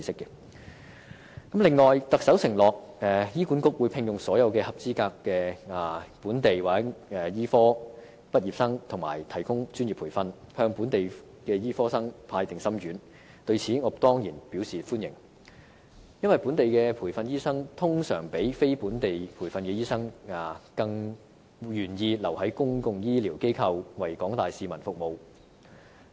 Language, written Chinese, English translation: Cantonese, 此外，特首承諾醫管局會聘用所有合資格本地醫科畢業生和提供專業培訓，向本地醫科生派"定心丸"，對此，我當然表示歡迎，因為本地培訓的醫生通常比非本地培訓的醫生更願意留在公共醫療機構為廣大市民服務。, Moreover the Chief Executive has undertaken that HA would employ all qualified local medical graduates and provide them with specialist training giving assurances to local medical graduates . This I certainly welcome because locally trained doctors are usually more willing to stay in the public health care sector to serve the general public than non - locally trained doctors